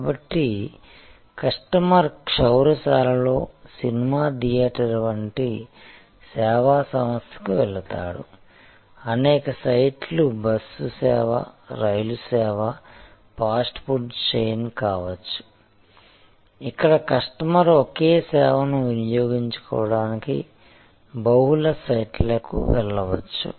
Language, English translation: Telugu, So, customer goes to the service organization like the movie theatre at the hair salon, multiple sites could be bus service, train service, fast food chain, where the customer can go to multiple sites for consuming the same service